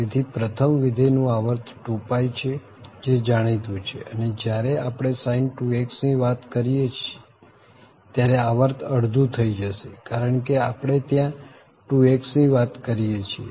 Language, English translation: Gujarati, So, what is the period of this first function that is 2 pie, its known and for 2x when we are talking about sin2x, the period will be half because we are talking about 2x there